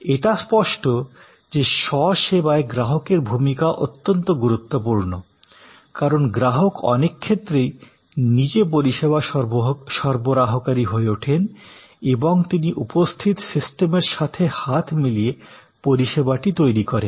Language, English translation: Bengali, So, obviously in self service, the role of the customer is very critical, because customer becomes in many ways the service provider and he creates or she creates the service in conjunction with the system provided